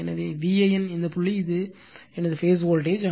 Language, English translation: Tamil, So, V an is this point, this is my phase voltage